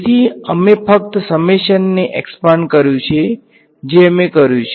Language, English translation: Gujarati, So, we just expanded the summation that is all we did